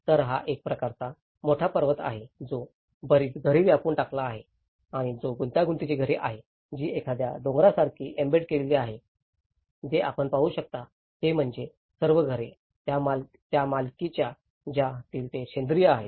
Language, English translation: Marathi, So, here itís a kind of big mountain which is embedded with a lot of dwellings which is intricate dwellings which are embedded like a mountain, what you can see is that all the dwellings, series of dwellings which are very organic nature of it